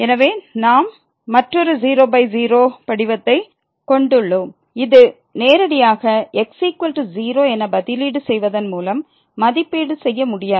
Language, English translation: Tamil, So, we have another by form which cannot be evaluated directly by substituting is equal to